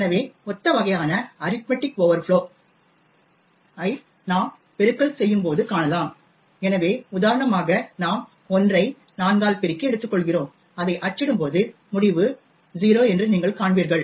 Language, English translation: Tamil, So, similar kind of arithmetic overflows can be also seen when we do multiplication, so for example you take l multiply it by 4 and when we do print it you will see that the result is 0